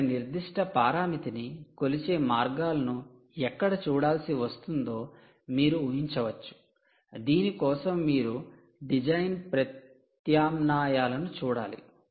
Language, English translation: Telugu, ah, where you will have to look at ways of measuring a certain parameter, where you will have to look at design alternatives